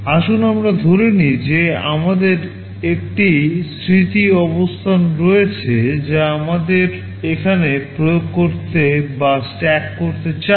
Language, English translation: Bengali, Let us assume that we have a memory location we want to implement or stack here